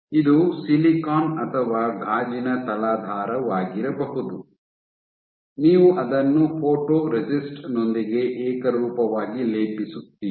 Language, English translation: Kannada, This might be silicon or glass any substrate; you coat it uniformly with your photoresist